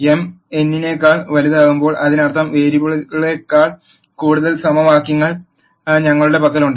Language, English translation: Malayalam, When m is greater than n; that means, we have more equations than variables